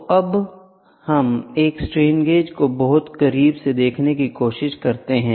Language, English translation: Hindi, So now, let us try to look at a strain gauge much closer, ok